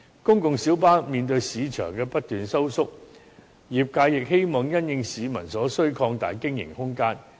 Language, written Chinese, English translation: Cantonese, 公共小巴面對市場不斷收縮，業界亦希望因應市民所需擴大經營空間。, In the face of continual shrinking of its market the PLB trade hopes to expand the room of operation in response to public need